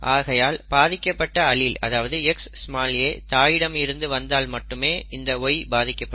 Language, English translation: Tamil, So the Y will be affected only if the affected allele comes from the mother, this X small A